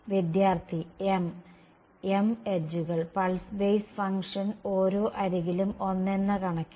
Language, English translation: Malayalam, m m edges right and the pulse basis function is one along each edge right